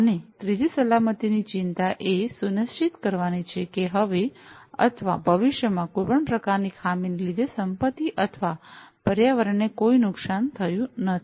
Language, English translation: Gujarati, And third safety concern is to ensure that there is no damage to property or environment, due to any kind of malfunctioning now or in the future